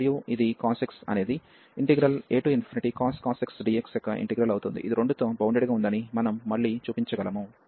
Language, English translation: Telugu, And this cos x the integral of the a to infinity cos x, we can again show that this is bounded by 2